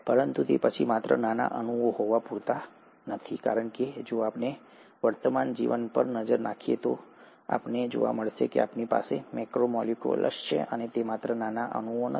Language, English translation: Gujarati, But then, just having small molecules is not enough, because if we were to look at the present day life, you find that you have macromolecules, and not just smaller molecules